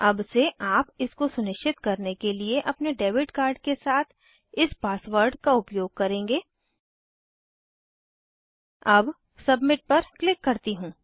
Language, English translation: Hindi, From now on you will use this password with your debit card to confirm it, let me submit